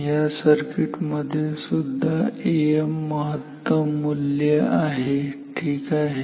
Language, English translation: Marathi, In this circuit also this is A m peak value ok